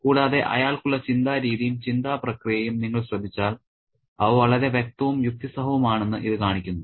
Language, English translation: Malayalam, And if you notice the kind of thinking, the thought process that he has, it shows us that they are very, very lucid, logical and rationale